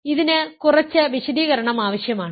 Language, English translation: Malayalam, So, this requires a bit of an explanation